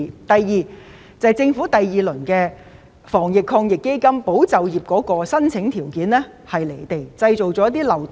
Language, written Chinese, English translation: Cantonese, 第二，在政府第二輪防疫抗疫基金中，"保就業"計劃的申請條件過於離地、製造漏洞。, Second in the second round of the Anti - epidemic Fund of the Government the application criteria of the Employment Support Scheme ESS are too unrealistic giving rise to loopholes